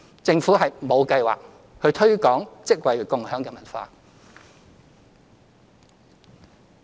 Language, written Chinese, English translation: Cantonese, 政府沒有計劃推廣"職位共享"的文化。, The Government does not have plans to promote a job - sharing culture